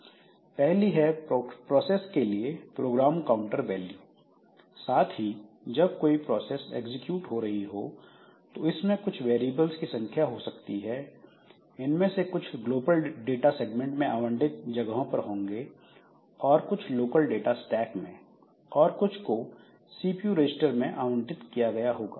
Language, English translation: Hindi, And also when a process is executing it may have a number of variables and some of these variables are allocated space in the global data segment and some of them are allocated in the local data stack and some of them are allocated into the CPU registers